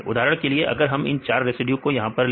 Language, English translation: Hindi, For example, if we put like this, these 4 residues right they form this